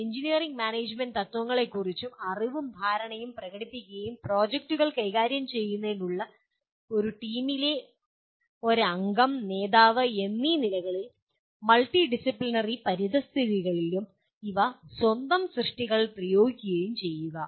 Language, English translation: Malayalam, Demonstrate knowledge and understanding of the engineering and management principles and apply these to one’s own work, as a member and a leader in a team to manage projects and in multidisciplinary environments